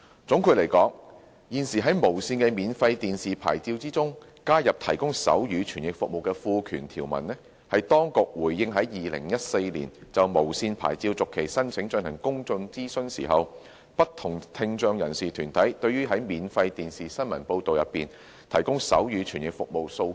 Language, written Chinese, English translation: Cantonese, 總的來說，現時在無綫的免費電視牌照中加入提供手語傳譯服務的賦權條文，是當局回應在2014年就無綫牌照續期申請進行公眾諮詢時，不同聽障人士團體對於在免費電視新聞報道提供手語傳譯服務的訴求。, To conclude the inclusion of an enabling provision on providing sign language interpretation service in the free television licence of TVB is a response of the authorities to the request for sign language interpretation service for free television news broadcasts made by deputations of people with hearing impairment during the public consultation exercise in respect of TVBs application for free television licence renewal